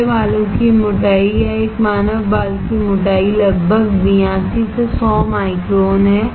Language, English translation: Hindi, The thickness of my hair or approximately thickness of a human hair is about 82 to 100 microns